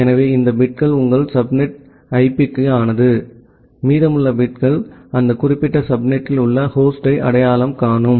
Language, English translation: Tamil, So, this bits are for your subnet IP, and the remaining bits are identifying the host inside that particular subnet